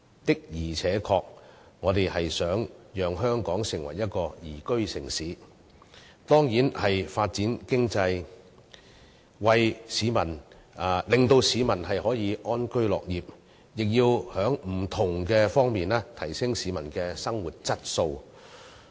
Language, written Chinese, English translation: Cantonese, 的而且確，我們希望香港成為一個宜居城市，當然需要發展經濟，令市民可以安居樂業，亦要在不同方面提升市民的生活質素。, It is true that if we want Hong Kong to become a liveable city we surely will need to develop our economy so that our people can live in peace and work in contentment and need to enhance peoples living quality in various aspects